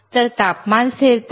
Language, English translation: Marathi, So, temperature stability